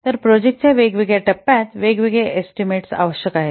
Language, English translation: Marathi, So, during different phases of the project, different estimates are required